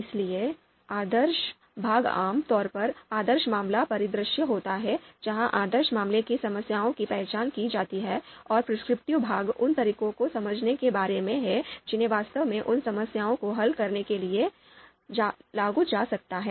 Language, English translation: Hindi, So normative part is of the typically ideal case scenario, the ideal case problems are identified and the prescriptive part is about understanding the methods which can actually be applied to solve those problems